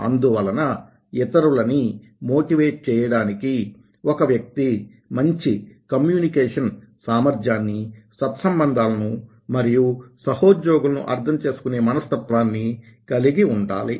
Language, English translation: Telugu, so to motivate others should have a good communication ability, good relationship and understanding for the fellow glees